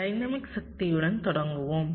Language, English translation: Tamil, let us start with dynamic power